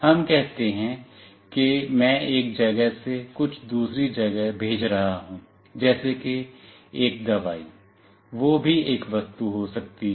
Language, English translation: Hindi, Let us say I am sending something from one place to another like a medicine, that could be also an object